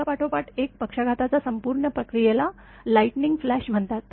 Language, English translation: Marathi, The complete process of successive stroke is called lighting flash